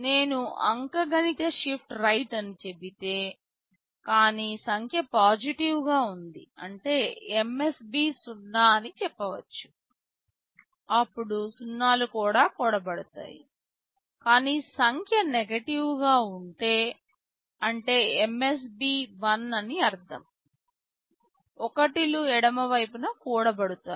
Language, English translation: Telugu, If I say arithmetic shift right, but the number is positive which means the MSB was 0 then 0’s will be added, but if the number was negative which means most significant bit was 1 then 1’s will be added on the left side